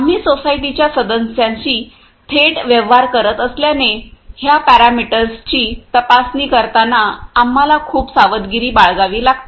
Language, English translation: Marathi, And then since we are directly dealing with the society members, we have to be very careful in regarding checking those parameters